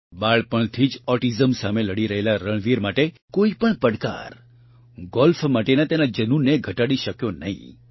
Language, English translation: Gujarati, For Ranveer, who has been suffering from autism since childhood, no challenge could reduce his passion for Golf